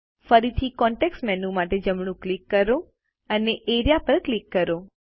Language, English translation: Gujarati, Again, right click for the context menu and click Area